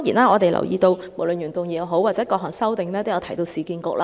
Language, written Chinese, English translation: Cantonese, 我們留意到，原議案和各項修正案都提到市區重建局。, We note that the original motion and various amendments have referred to the Urban Renewal Authority URA